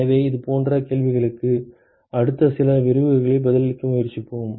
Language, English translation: Tamil, So, those kinds of questions we will try to answer in the next few lectures